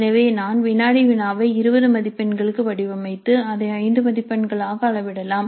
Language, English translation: Tamil, So I may design the quiz for 20 marks then scale it down to 5 marks